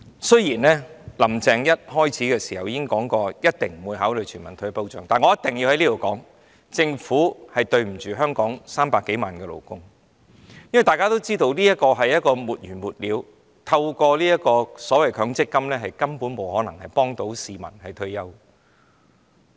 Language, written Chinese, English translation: Cantonese, 雖然"林鄭"一開始已表明一定不會考慮全民退保，但我必須在這裏說，政府虧待香港300多萬名勞工，因為大家都知道這是沒完沒了的，強積金根本不可能幫助市民應付退休生活。, Although Carrie Lam said in the very beginning that she would not consider universal retirement protection I need to say here that the Government is mean to more than 3 million workers in Hong Kong because everyone knows this thing has become a never - ending cause for MPF is simply unable to help the people cope with retirement